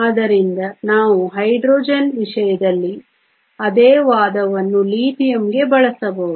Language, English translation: Kannada, So, We can use the same argument for Lithium as in the case of Hydrogen